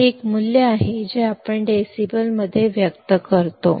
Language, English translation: Marathi, This is a value that we express in decibels